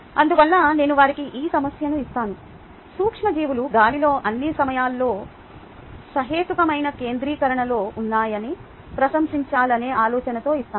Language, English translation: Telugu, therefore, i give them this problem, but with an idea of getting them to appreciate that microbes are present in the air all the time, at reasonable concentrations